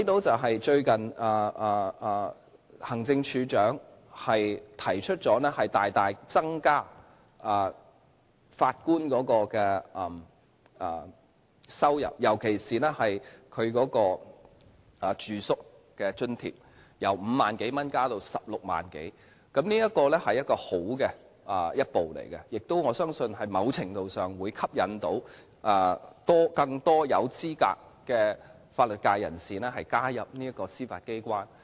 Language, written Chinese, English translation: Cantonese, 最近行政會議提出大大增加法官的薪酬，尤其是他們的住宿津貼，由5萬多元增至16萬多元，這是好的一步，我亦相信在某程度上會吸引更多有資格的法律界人士加入司法機關。, Recently the Executive Council has proposed a substantial increase in the remuneration of Judges particularly their accommodation allowance which will be increased from about 50,000 to over 160,000 . This is a good initiative and I believe it can to a certain extent attract more eligible members of the legal profession to join the Judiciary